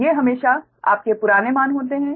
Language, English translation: Hindi, these are always your old values, right